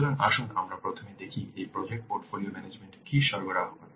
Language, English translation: Bengali, So let's first see what this project portfolio management provides